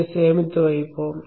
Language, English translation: Tamil, Let us save this